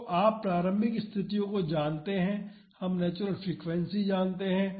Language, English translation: Hindi, So, you have know the initial conditions, we know the natural frequency